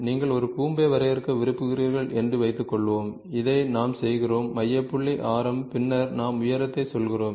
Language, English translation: Tamil, Suppose you want to define a cone, we do this, centre point, radius and then we also tell the height